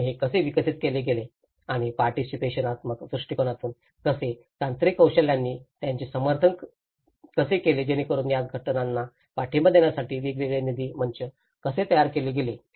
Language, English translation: Marathi, And how it has been developed and how from a participatory approach, how the technical expertise have supported them in it so how different funding platforms have been created to support these associations